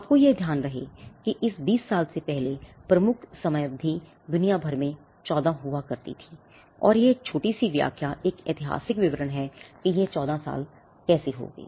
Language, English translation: Hindi, Now, mind you the predominant time period before this 20 year across the globe used to be 14 and there is a small explanation historical explanation as to how it came to be 14 years